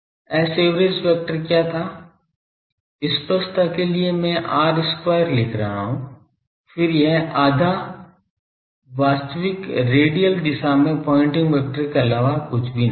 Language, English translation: Hindi, What was s average vector for clarity I am writing r square , then it was nothing but half , real , the pointing vector in the radial direction how much going this